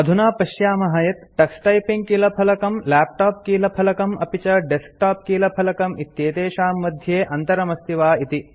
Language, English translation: Sanskrit, Now let us see if there are differences between the Tux Typing keyboard, laptop keyboard, and desktop keyboard